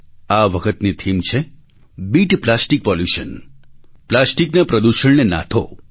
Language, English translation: Gujarati, This time the theme is 'Beat Plastic Pollution'